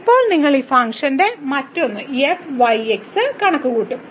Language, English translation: Malayalam, Now you will compute the other one of this function